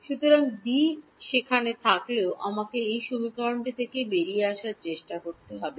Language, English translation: Bengali, So, although D is there I have to try to work him out of this equation